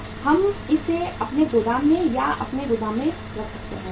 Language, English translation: Hindi, We keep that more in our warehouse or in our godown